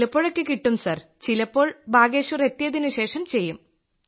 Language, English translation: Malayalam, Sir, at places it was available…at times we would do it after coming to Bageshwar